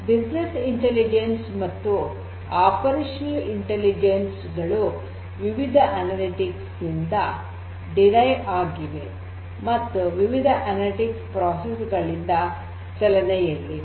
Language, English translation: Kannada, So, overall business intelligence and operational intelligence can be derived through different types of analytics and running different analytical processes in these analytics engines is very important